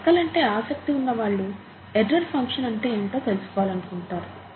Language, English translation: Telugu, For people who have an interest in maths, you would like to know what an error function is